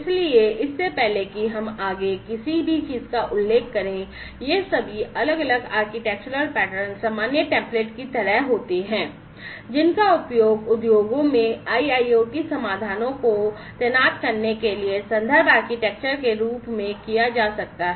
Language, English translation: Hindi, So, one thing I should mention before we go any further is all these different architectural patterns are sort of like common templates, which could be used in order to, which could be used as reference architectures in order to deploy IIoT solutions in the industries